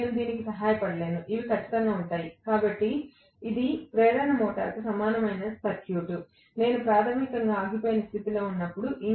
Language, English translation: Telugu, I cannot help it; these will be there, definitely, so this is the equivalent circuit of the induction motor, when I was having basically that in standstill condition